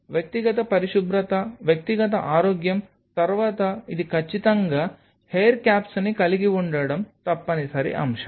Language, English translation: Telugu, So, personal hygiene personal health, next it is absolutely making it a mandatory point to have the hair caps